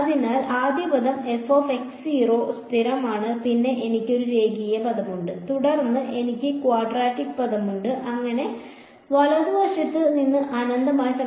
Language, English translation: Malayalam, So, the first term is constant f of x naught, then I have a linear term and then I have quadratic term and so on right and it is a infinite summation